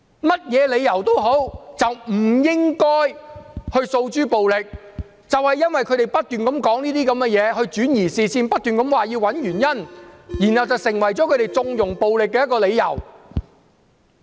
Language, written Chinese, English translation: Cantonese, 無論如何不應訴諸暴力，但他們不斷轉移視線，亦不斷要求找出發生暴力的原因，這便成為他們縱容暴力的理由。, In any case we should not resort to violence but the opposition camp keeps diverting attention and demanding to identify the reasons for using violence . This is why they connive at violence